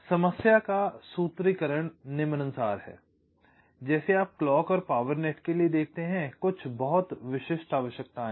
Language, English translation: Hindi, like you see, ah, for the clock and the power nets, there are some very specific requirements